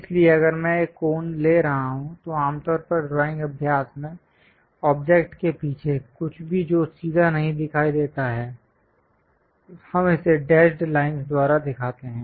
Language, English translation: Hindi, So, if I am taking a cone, so, usually in drawing practice, anything behind the object which is not straightforwardly visible, we show it by dashed lines